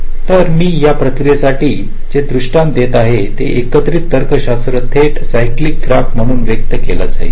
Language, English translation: Marathi, so the illustration that i shall be giving for this process here, the combination logic, will be expressed as a direct ah cyclic graph